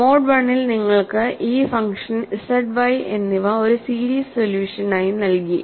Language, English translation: Malayalam, In mode 1 counterparts, you had this function z and y given as a series solution